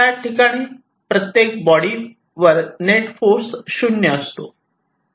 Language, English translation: Marathi, ok, the net force on each of the bodies will be zero